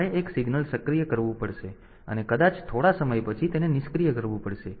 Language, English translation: Gujarati, So, I have to I have activated one signal and maybe it has to be deactivated after some time